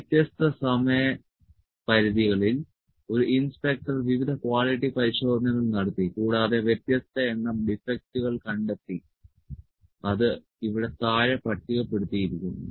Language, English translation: Malayalam, Various quality checkups were performed by an inspector different time periods and different number of defect were found which are tabulated below which as tabulated here